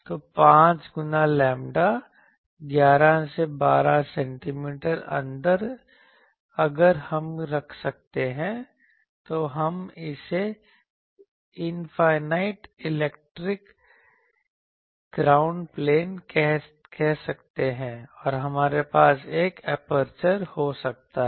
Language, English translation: Hindi, So, 5 times that lambda so, 11 12 centimeter inside if we keep we can call it call infinite electric ground plane and we can have an aperture